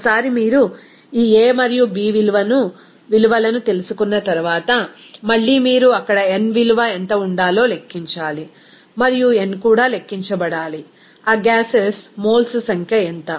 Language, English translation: Telugu, Once you know this a and b value, then again you have to calculate what should be the n value there because and n is also to be calculated, what will be the number of moles of that gases